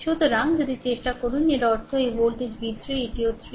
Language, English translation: Bengali, So, if you if you try to; that means, this voltage v 3 this is also 3